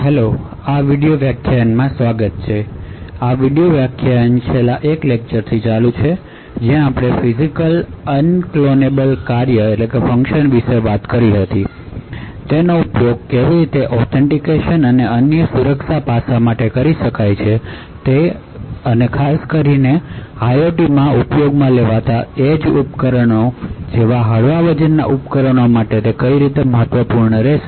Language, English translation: Gujarati, so this video lecture continues from the last one where we spoke about Physically Unclonable Functions and how they could possibly used for authentication and for other security aspects, especially they would be important for lightweight devices like edge devices that are used in IOT